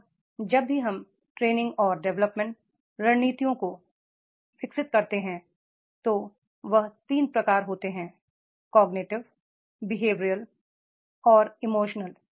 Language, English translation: Hindi, Now whenever we develop the training and development strategies there are three types of the training and development strategies cognitive behavioral and emotional